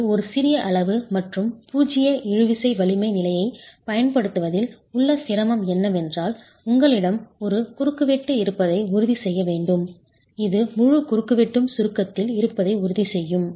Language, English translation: Tamil, It's a small quantity and the difficulty in using a zero tensile strength condition is that you will have to then ensure you have a cross section, a dimension which ensures the entire cross section is in compression